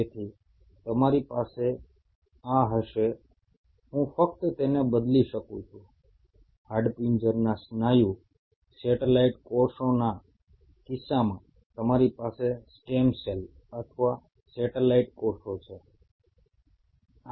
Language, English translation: Gujarati, So you will have these, I can just replacing it, you have stem cells or satellite cells in case of skeletal muscle, satellite cells